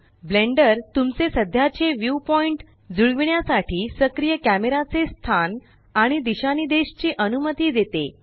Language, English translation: Marathi, Blender allows you to position and orient the active camera to match your current view point